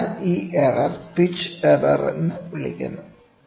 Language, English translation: Malayalam, So, this error is called as pitch error